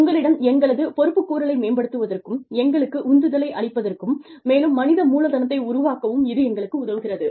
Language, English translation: Tamil, It helps us, it enhances, our accountability to you, that feeds into our motivation, and the human capital has developed